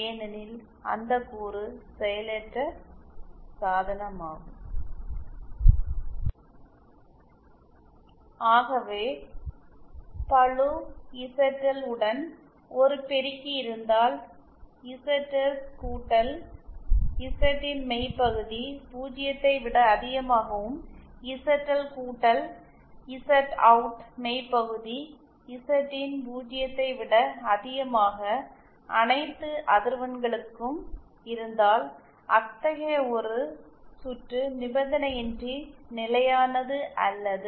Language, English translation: Tamil, So then the if we have an say an amplifier with load ZL then if we have real part of ZS plus Z IN greater than 0 and real part of ZL plus Z OUT greater than 0 for all frequencies then such a such a circuit is said to be unconditionally stable or such a